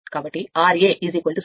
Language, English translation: Telugu, So, r a is 0